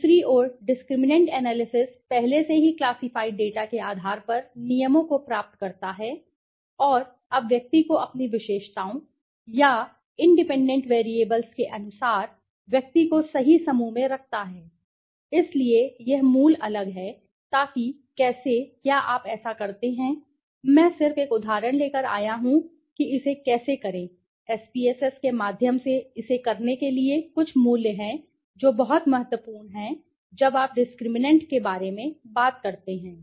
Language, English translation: Hindi, On the other hand, the discriminant analysis derives rules on basis of the already classified data right, and now clubs the individual or places the individual on to the right group according its features, features or the independent variables right, so that is the basic different so how do you do it I have just brought an example with through how it to do it through SPSS there few values which are very important when you talk about discriminant